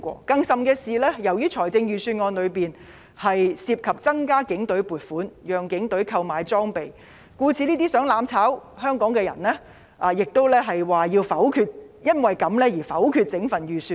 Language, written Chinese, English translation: Cantonese, 更甚的是，由於預算案中涉及增加警隊撥款，讓警隊購買裝備，故此這些企圖"攬炒"香港的人也表示因而要否決整份預算案。, What is more the Budget involves an increase in funding for the Police to procure equipment . Those who intend to burn together with Hong Kong say that they will negative the whole Budget for this